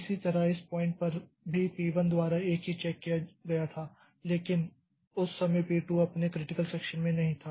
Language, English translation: Hindi, Similarly the same check was done by P1 at this point also but at that time since P2 was not in its critical section so it was allowed to be through